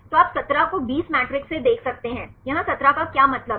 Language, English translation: Hindi, So, you can see the 17 by 20 matrix, here 17 stands for